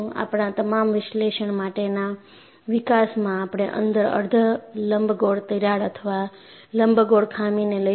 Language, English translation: Gujarati, In all our analytical development, we would take a semi elliptical crack or an elliptical flaw inside